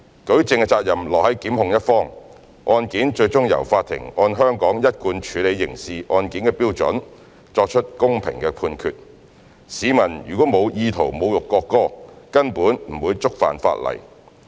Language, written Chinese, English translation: Cantonese, 舉證責任落於檢控的一方，案件最終由法庭按香港一貫處理刑事案件的標準作出公平的判決，市民如沒有意圖侮辱國歌，根本不會觸犯法例。, The onus of proof lies on the prosecution . Eventually the case will be handled by court in accordance with the established standard adopted for handling criminal cases in Hong Kong so as to make a fair judgment . If members of the public have no intent to insult the national anthem they will not breach the legislation